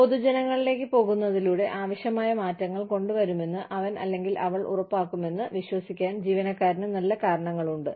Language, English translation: Malayalam, The employee has good reasons, to believe that, by going public, he or she will ensure that, the necessary changes will be brought about